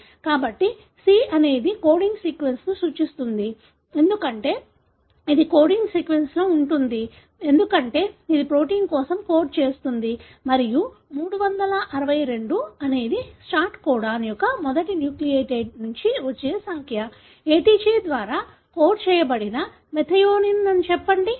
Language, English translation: Telugu, So, the c stands for coding sequence, because it is present in a coding sequence, because it codes for a protein and the 362 is the number from the first nucleotide of the start codon, say the methionine that is coded by ATG